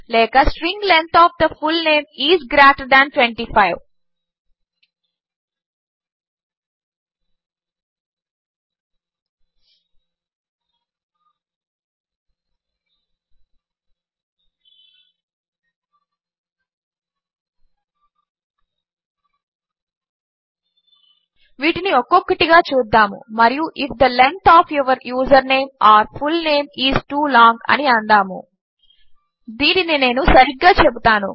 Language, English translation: Telugu, string length of the fullname is greater that 25 Let us look at these individually and say if the length of your username or fullname is too long